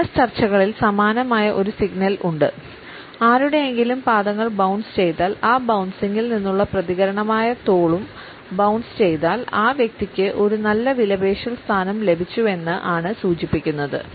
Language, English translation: Malayalam, In business negotiations there is a similar signal; if you notice someone’s feet bouncing or you see the jiggling and the shoulders that is a reaction from that bounce; you can be pretty much assured that that person feels that he is got a good bargaining position